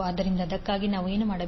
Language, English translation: Kannada, So for that, what we need to do